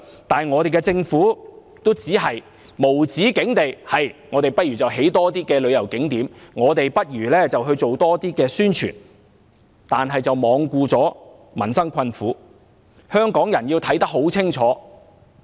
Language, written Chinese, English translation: Cantonese, 但是，我們的政府只是無止境地說要興建更多旅遊景點，要做更多宣傳，卻罔顧民生困苦，香港人要看得很清楚。, Nevertheless our Government knows only to build more tourist spots and do more promotion endlessly while neglecting the hardship faced by the people . Hong Kong people must see this clearly